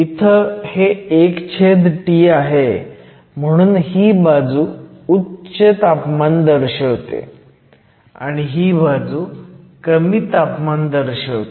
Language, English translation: Marathi, Since this is 1 over the temperature, this represents the high temperature side, this represent the low temperature